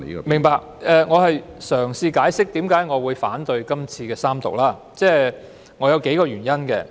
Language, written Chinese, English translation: Cantonese, 明白，我是在嘗試解釋為何要反對三讀，並有數個原因。, I understand and I am trying to explain why I oppose the Third Reading . There are several reasons